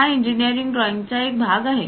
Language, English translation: Marathi, This is one part of engineering drawing